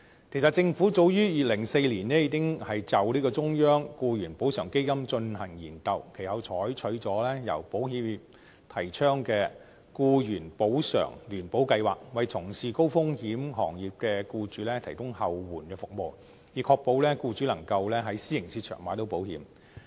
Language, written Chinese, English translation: Cantonese, 其實政府早於2004年已經就"中央僱員補償基金"進行研究，其後採取了由保險業界提倡的僱員補償聯保計劃，為從事高風險行業的僱主提供後援服務，以確保僱主能夠在私營市場購買到保險。, In fact studies on a central employees compensation fund were conducted by the Government back in 2004 . Subsequently the Government adopted the Employees Compensation Insurance Residual Scheme advocated by the insurance sector to provide a last resort to employers engaged in high - risk trades to ensure that they would be able to take out insurance in the private market